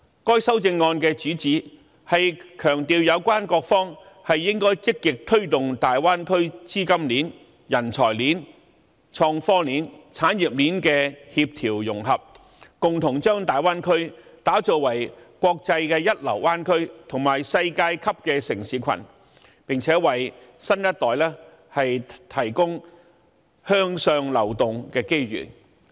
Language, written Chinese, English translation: Cantonese, 該修正案的主旨是強調有關各方應積極推動大灣區資金鏈、人才鏈、創科鏈及產業鏈的協調融合，共同把大灣區打造為國際一流灣區及世界級的城市群，並且為新一代提供向上流動的機遇。, The amendment mainly highlights the need for various parties to actively promote the coordination and integration of the capital talent IT and industry chains in the Greater Bay Area to jointly develop the Greater Bay Area into a first - class international bay area and a world - class city cluster thereby providing opportunities for the new generation to move upward